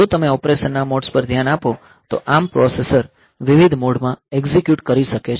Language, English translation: Gujarati, So, if you look into the modes of operation then the ARM processor can execute in different modes ok